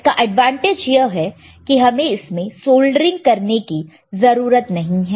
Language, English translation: Hindi, The advantage here is you do not have to do any soldering